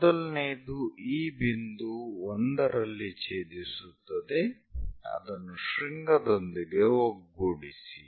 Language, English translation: Kannada, So, the first one is intersecting at this point 1, join that with apex